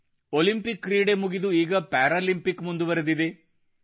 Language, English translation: Kannada, The events at the Olympics are over; the Paralympics are going on